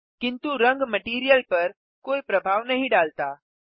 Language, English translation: Hindi, But the color has no effect on the material